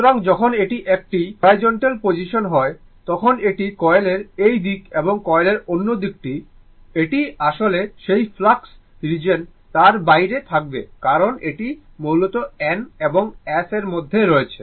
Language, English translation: Bengali, So, when it is a horizontal position, then this is this side of the coil and this side of the coil, this is actually will be outside of the your what you call that flux region right because this is a basically your in between N and S